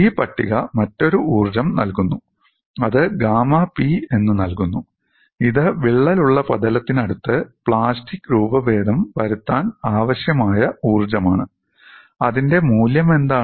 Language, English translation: Malayalam, And this table also gives another energy which is given as gamma P, which is the energy, required to cause plastic deformation near the cracked surface and what is it is value